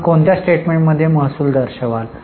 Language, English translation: Marathi, In which statement will you show the revenue